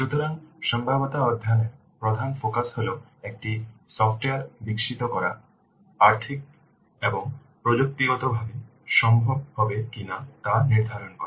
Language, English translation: Bengali, So the main focus of feasible study is to determine whether it would be financially and technically feasible to develop a software